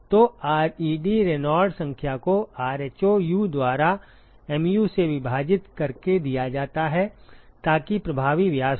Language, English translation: Hindi, So, the ReD Reynolds number is given by rho Um into divided by mu so that is the effective diameter